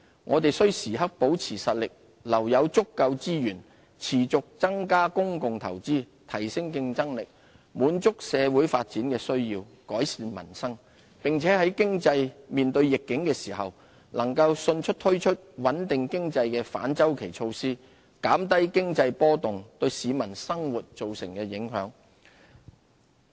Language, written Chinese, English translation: Cantonese, 我們須時刻保持實力，留有足夠資源持續增加公共投資、提升競爭力、滿足社會發展的需要、改善民生；並且在經濟面對逆境時，能夠迅速推出穩定經濟的反周期措施，減低經濟波動對市民生活造成的影響。, Therefore we have to rely on a sound and progressive fiscal policy to ensure that we can stay strong and have adequate resources to continuously increase public investment enhance our competitiveness cater for social development needs and improve peoples livelihood . This also enables us to promptly launch counter - cyclical measures to stabilize the economy in times of economic downturn so as to minimize the impact of economic fluctuations on peoples livelihood